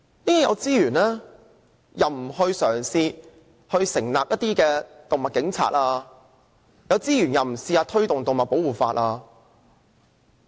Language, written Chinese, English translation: Cantonese, 政府有資源又不嘗試成立"動物警察"，亦不嘗試推動"動物保護法"。, The Government has the resources but it does not make an effort to establish animal police nor take forward the law on animal protection